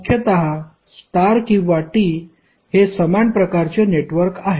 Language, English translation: Marathi, So basically the star or T are the same type of circuits